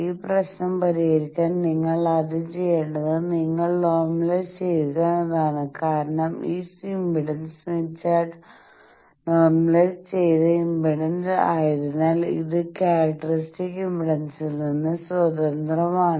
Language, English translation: Malayalam, So the first thing that you need to do to solve this problem is you normalize because this impedance smith chart is normalized impedance so that it is independent of characteristic impedance